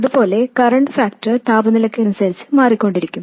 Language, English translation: Malayalam, And similarly as current factor changes with temperature GM will change with temperature